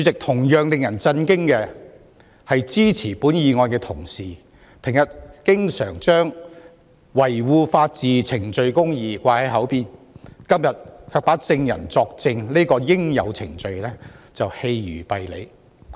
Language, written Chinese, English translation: Cantonese, 同樣令人震驚的是，支持本議案的同事平日經常把維護法治和程序公義掛在嘴邊，今天卻把證人作證這個應有程序棄如敝履。, What is equally shocking is that Honourable colleagues supporting the motion often speak of upholding the rule of law and procedural justice . Today they have so readily cast away the due process of witnesses giving evidence